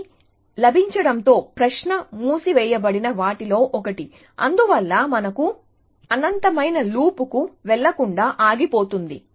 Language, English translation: Telugu, With it get, the question is one of the things at closed, thus for us is there it is stops as from going to an infinite loop essentially